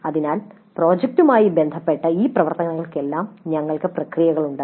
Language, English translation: Malayalam, So we have processes for all these activities related to the projects